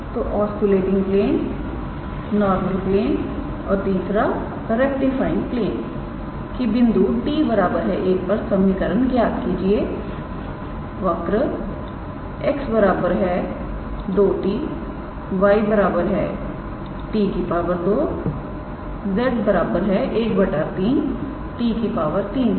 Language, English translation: Hindi, So, find the equation of oscillating plane, normal plane and the third one was rectifying plane at the point t equals to 1 for the curve x equals to 2t y equals to t square and z equals to 1 by 3 t cube